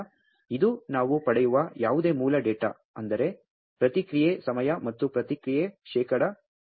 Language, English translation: Kannada, So, this are the basic data of whatever we get that is response time then response percent